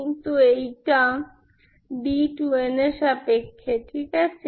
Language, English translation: Bengali, But this one is in terms of d 2 n, Ok